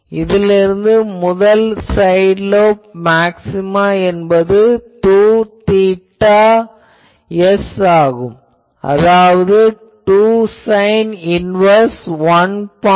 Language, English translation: Tamil, So, from here you can say that first side lobe beam width that will be 2 theta s and that is 2 sin inverse 1